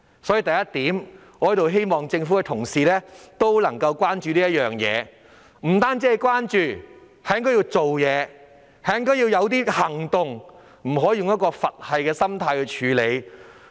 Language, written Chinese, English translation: Cantonese, 所以，我希望政府相關部門關注這事，更要做實事，採取相應行動，而不是用"佛系"心態處理。, I hope that the government departments concerned will show concern about this problem and do real work by taking corresponding actions instead of taking things as they come